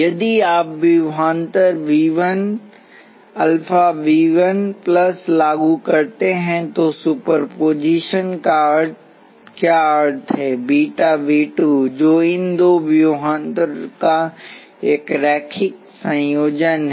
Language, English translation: Hindi, What does super position mean if you apply voltage alpha V 1 plus beta V 2, which is a linear combination of these two voltages